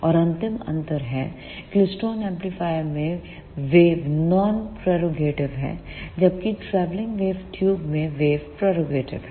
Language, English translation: Hindi, And the last difference is the wave in klystron amplifier is non propagative; whereas the wave in travelling wave tube is propagative